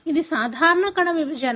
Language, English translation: Telugu, This is a normal cell division